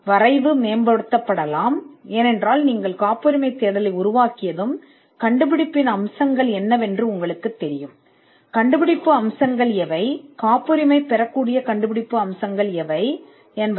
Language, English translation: Tamil, The drafting can be improved, because once you generate a patentability search you would know what are the features of the invention the inventive features we had already discussed that in one of our earlier lessons, what are the inventive features that can be patentable